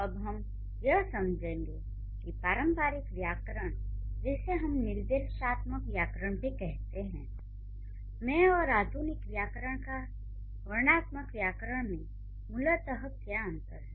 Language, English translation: Hindi, Now we will go to understand what is the difference between the traditional grammar studies or the traditional grammar which we also call prescriptive grammar and how the modern grammar or the descriptive grammar is different from this